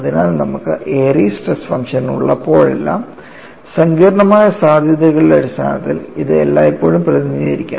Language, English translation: Malayalam, So, whenever you have an Airy's stress function, it can always be represented in terms of complex potentials, how they are represented